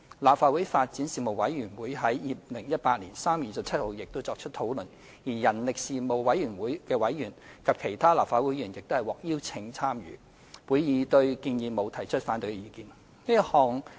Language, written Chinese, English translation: Cantonese, 立法會發展事務委員會已在2018年3月27日作出討論，人力事務委員會委員及立法會其他議員亦獲邀參與會議，席間沒有反對上述建議的意見。, The Legislative Council Panel on Development discussed the proposal on 27 March 2018 and members of the Panel on Manpower and other Legislative Council Members were also invited to join the discussion . The meeting raised no objection to the aforesaid proposal